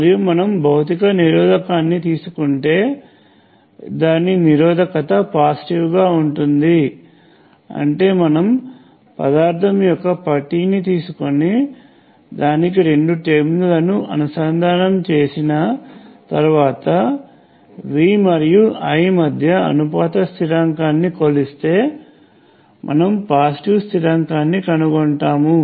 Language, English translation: Telugu, And if you take a physical resistor, the resistance will be positive; that means, that if you take a bar of material and connect two terminals to it and you measure the proportionality constant between V and I, you will find a positive constant